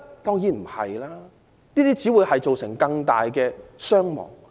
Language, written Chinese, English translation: Cantonese, 當然不是，這只會造成更大傷亡。, Certainly not as this would only cause more casualties